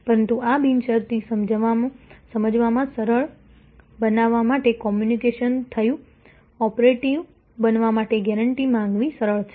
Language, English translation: Gujarati, But, to make this unconditional easy to understand communication happened, easy to invoke guarantee to become operative